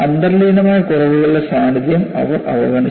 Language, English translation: Malayalam, They ignored the presence of inherent flaws